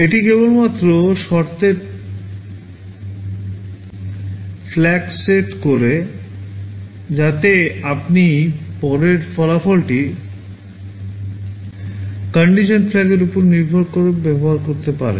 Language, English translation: Bengali, It only sets the condition flag so that you can use that result later depending on the condition flag